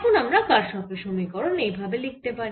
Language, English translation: Bengali, now we can write kirchhoff's equation